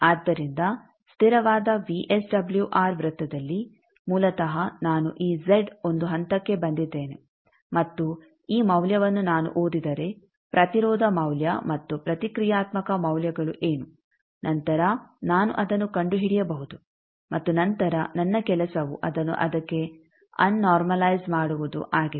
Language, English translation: Kannada, So, on constant VSWR circle basically I have come to this z one point come to this point and this value if I read that what is the resistance value and reactance values then that I can find and then my job is to ab normalize it to that